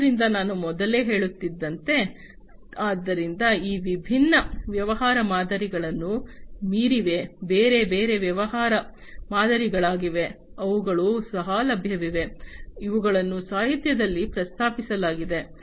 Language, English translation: Kannada, So, as I was telling you earlier; so there are beyond these different business models, there are different other business models, that are also available, that have been proposed in the literature